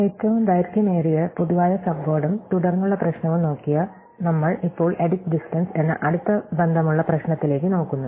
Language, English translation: Malayalam, Having looked at the longest common subword and subsequence problem, we now look at a closely related problem called Edit Distance